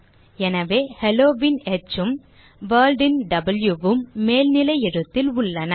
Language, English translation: Tamil, So, H of Hello and W of World are in uppercase